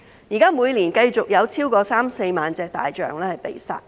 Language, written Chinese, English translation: Cantonese, 現時每年繼續有超過三四萬隻大象被殺。, Currently more than 30 000 to 40 000 elephants are being killed every year